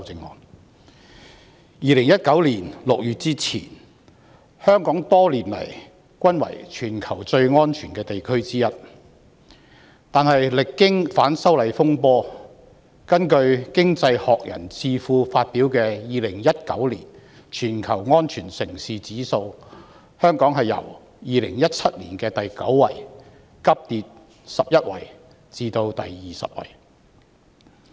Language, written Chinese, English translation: Cantonese, 在2019年6月之前，香港多年來一直是全球最安全的地區之一，但歷經反修例風波，根據經濟學人智庫發表的2019年全球安全城市指數，香港由2017年的第九位急跌11位至第二十位。, Before June 2019 Hong Kong had been one of the safest regions in the world for many years . However following the disturbances arising from the opposition to the proposed legislative amendments Hong Kongs ranking in the 2019 Safe Cities Index published by the Economist Intelligence Unit plunged 11 places from the 9 in 2017 to the 20